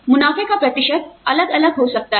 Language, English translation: Hindi, The amount, the percentage of the profits, can vary